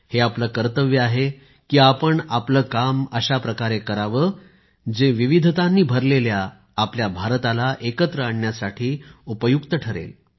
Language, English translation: Marathi, It is our duty to ensure that our work helps closely knit, bind our India which is filled with diversity